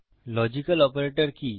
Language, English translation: Bengali, What is a logical operator